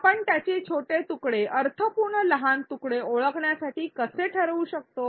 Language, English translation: Marathi, How do we go about deciding to identify smaller pieces of it, meaningful smaller pieces